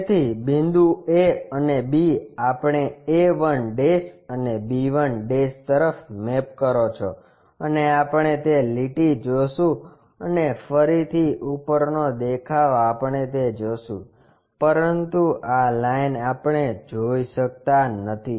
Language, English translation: Gujarati, So, a point b points maps to this a 1' b 1' and we will see that line and again top face we will see that, but this line we cannot really see